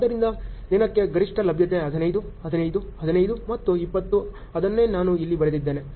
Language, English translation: Kannada, So, maximum availability per day 15, 15, 15 and 20 that is what I have written here